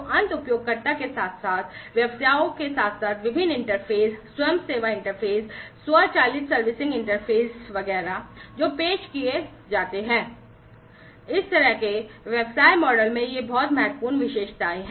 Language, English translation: Hindi, So, between the end users at the end user as well as the businesses, the different interfaces, the self service interfaces, the automated servicing interfaces etcetera, that are offered; these are very crucial features in this kind of business model